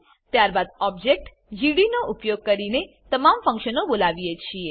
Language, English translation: Gujarati, Then we call all the functions using the object gd